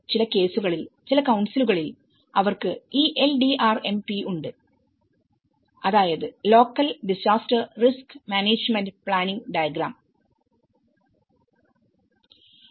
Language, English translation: Malayalam, One is they have the LDRMP which is called Local Disaster Risk Management Planning